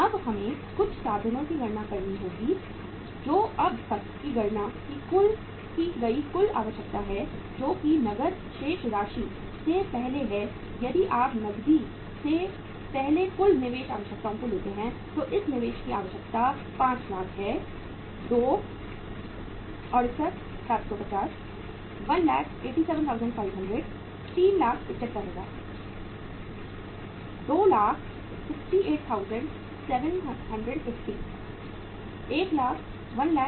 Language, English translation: Hindi, Now we will have to calculate something uh means total requirement we have calculated so far is before the cash balance is if you take the total investment requirements before cash, how much is going to be this investment requirement that is 500000; 2,68,750; 1,87,500; 3,75,000